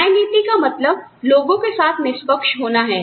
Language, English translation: Hindi, Equity means, being fair to people